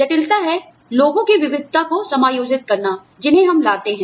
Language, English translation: Hindi, Complexity is to, accommodate the diversity of people, who we bring in